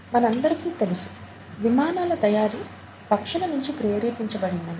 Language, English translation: Telugu, And, all of us know that the airplanes were inspired by a bird flying